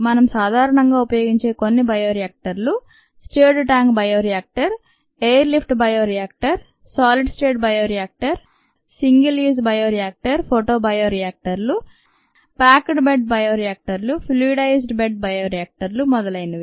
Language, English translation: Telugu, some commonly used bioreactors we saw, such as the stirred tank bioreactor, the air lift bioreactor, the solid state bioreactor, ah, single used bioreactors, photo bioreactors, packed bed bioreactors, fluidized spread bioreactors, and so on